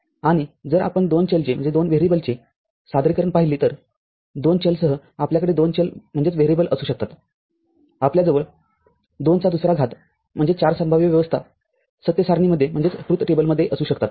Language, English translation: Marathi, And, if we look at the two variable representation so, with two variables, we can have two variable we can have 2 to the power 2, that is 4 possible arrangements in the this truth table